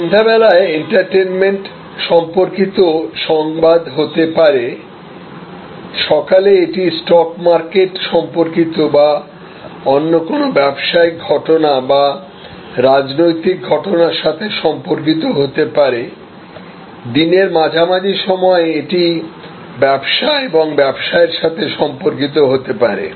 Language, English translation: Bengali, So, the evening it maybe news related to entertainment, in the morning it may be news related to the stock market or certain other business happenings or political happenings, in the middle of the day it could be all related to trade and business